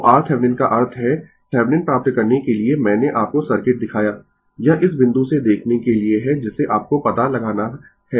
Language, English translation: Hindi, So, R Thevenin means your for getting Thevenin I showed you the circuit, this is for looking from this point you have to find out